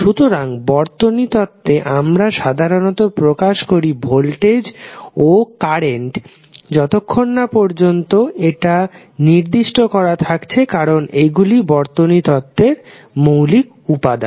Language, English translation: Bengali, So, in the circuit theory we generally represent the answers in the form of voltage and current until and unless it is specified because these are the two basic elements in our electric circuit